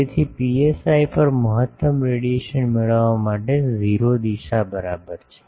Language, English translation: Gujarati, So, to get maximum radiation at psi is equal to 0 direction